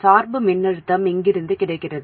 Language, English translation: Tamil, The bias voltage is available from here